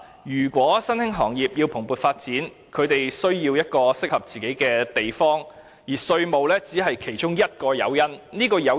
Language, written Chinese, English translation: Cantonese, 如果新興行業希望蓬勃地發展，自然需要一個合適的地方，而稅務優惠只是其中一個誘因而已。, If new industries wish to have prosperous development they will naturally look for an appropriate destination and tax concession is only one incentive